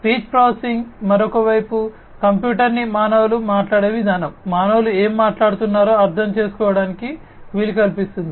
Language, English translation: Telugu, Speech processing, on the other hand, is enabling a computer to understand, the way humans speak, what the humans are speaking